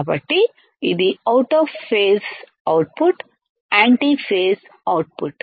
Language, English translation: Telugu, So, this is the antiphase output antiphase output